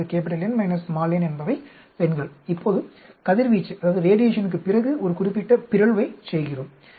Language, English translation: Tamil, So, N minus n are females, now we do a certain mutation after radiation